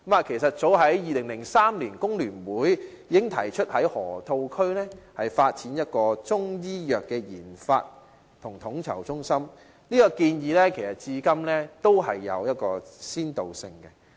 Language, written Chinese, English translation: Cantonese, 其實早在2003年，香港工會聯合會已經提出在河套區發展中醫藥研發及統籌中心，這個建議至今仍然具先導性。, In as early as 2003 the Hong Kong Federation of Trade Unions put forth a proposal to develop a research development and coordination centre for Chinese medicine in the Loop . The proposal remains pioneering as at today